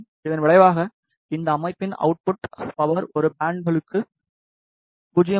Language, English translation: Tamil, As, a result the output power of this system is 0